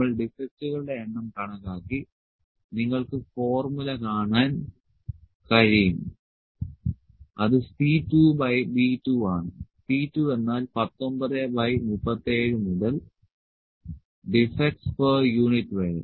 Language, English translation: Malayalam, So, we have calculated the number of defects, number of defects is you can see the formula it is C 2 by B 2; C 2 means 19 by 37 to defects per unit